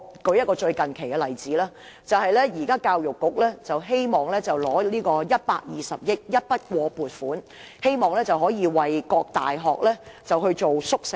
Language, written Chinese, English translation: Cantonese, 我列舉最近的例子。教育局希望申請120億元的一筆過撥款，以基金形式為各大學興建宿舍。, Recently the Education Bureau applied for a one - off provision of 12 billion to set up a fund for the construction of university hostels